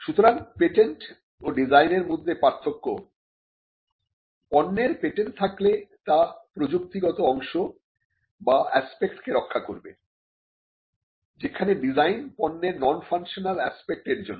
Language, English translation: Bengali, So, the difference between a patent and a design is that the patent if it manifests in a product, the patent protects the technical parts or the technical aspects or the functional aspects, whereas the design is for the non functional aspects of a product